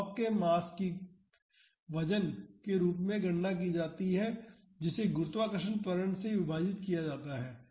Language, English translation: Hindi, The mass of the block is calculated as the weight which is given divided by gravitational acceleration